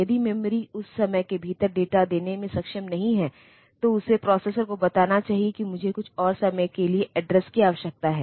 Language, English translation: Hindi, If the memory is not able to give the data within that time, then it should tell the processor that I need the address for some more time